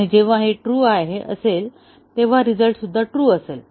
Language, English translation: Marathi, And when this is true, the outcome will be true